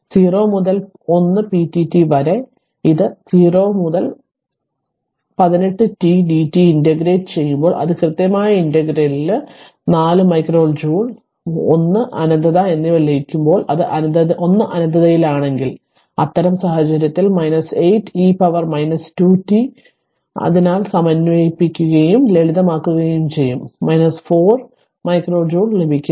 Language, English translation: Malayalam, So, when 0 to 1 p dt it is 0 to 1 8 t dt so you integrate right it is in the definite integral you will get 4 micro joule and 1 to infinity when you make it is 1 to infinity and in that case minus 8 e to the power minus 2 into t minus, so integrate and simplify you will get minus 4 micro joule